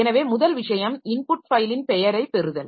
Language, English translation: Tamil, So, first thing is that acquire input file name